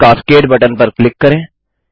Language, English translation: Hindi, Click the Fish Cascade button